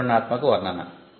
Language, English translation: Telugu, This is the detailed description